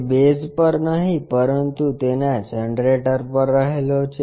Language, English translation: Gujarati, It is not resting on base, but on its generators